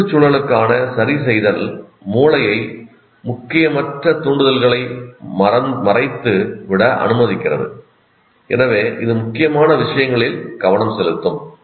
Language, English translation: Tamil, The adjustment to the environment allows the brain to screen out unimportant stimuli so it can focus on those that matter